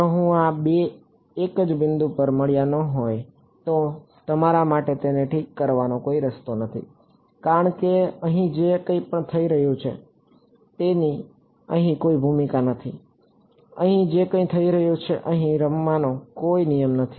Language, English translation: Gujarati, If these 2 did not meet at the same point, there is no way for you to fix it because whatever is happening here has no role to play over here, whatever is happening here as no rule to play over here